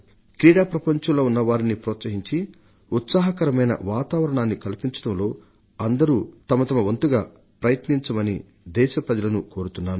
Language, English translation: Telugu, I appeal to my countrymen to contribute their bit in creating an atmosphere that boosts the spirits and enthusiasm of our athletes